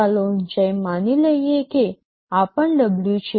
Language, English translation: Gujarati, So, height let us assume this is also W